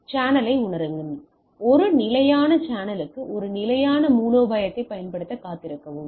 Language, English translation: Tamil, So, sense the channel, wait for a persistence channel deploy a persistence strategy